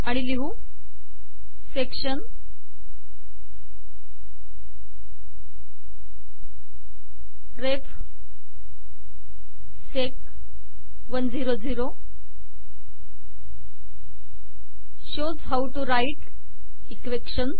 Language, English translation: Marathi, And says section ref sec 100, shows how to write equations